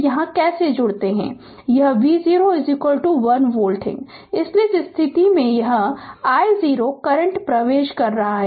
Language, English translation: Hindi, So, this is V 0 is equal to 1 volt right so, in this case this i 0 current is entering